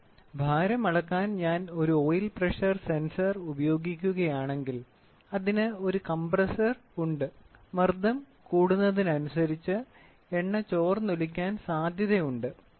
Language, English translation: Malayalam, Suppose for the weight, if I use a sense oil pressure sensor, it has a weight compressor, the oil gets leaked and the pressure increases